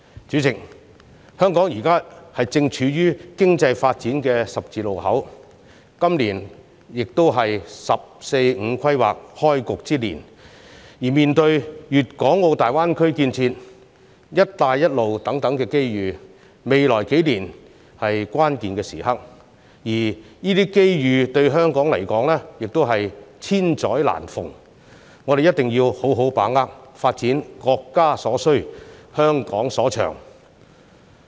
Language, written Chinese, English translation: Cantonese, 主席，香港正處於經濟發展的十字路口，今年亦是"十四五"規劃開局之年，而面對粵港澳大灣區建設、"一帶一路"等機遇，未來數年是關鍵時刻，而這些機遇對香港而言，也是千載難逢，我們一定要好好把握，發展國家所需、香港所長。, President Hong Kong is at the crossroad of economic development and it happens that this year is also the first of the National 14 Five - Year Plan . In the face of such opportunities as the construction of the Guangdong - Hong Kong - Macao Greater Bay Area as well as the Belt and Road Initiative the next few years are very critical . This is a once in a lifetime chance to Hong Kong